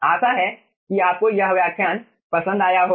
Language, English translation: Hindi, hope you have like this lecture, thank you